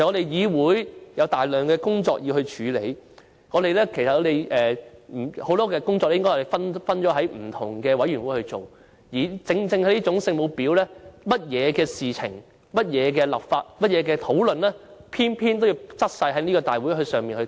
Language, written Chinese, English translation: Cantonese, "議會有大量工作要處理，很多工作應該分別交由不同的委員會負責，但正正是這種"聖母婊"，對於甚麼事情、法例等的討論也偏偏要在立法會會議上進行。, The Council has a whole host of work to deal with . Most work should be assigned to different committees but such Holy Mother bitches have to demand discussions on everything or legislation etc . to be carried out in the meetings of the Legislative Council